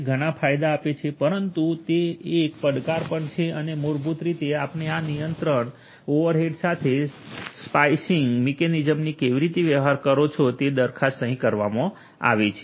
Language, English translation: Gujarati, It gives lot of benefits, but it is also a challenge and how do you deal with this control overhead for this basically the slicing mechanism has been proposed